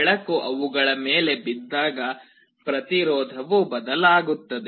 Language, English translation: Kannada, When light falls on them the resistivity changes